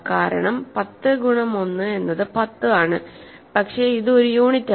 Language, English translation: Malayalam, Similarly, minus 10 times minus 1 is 10 and this is a unit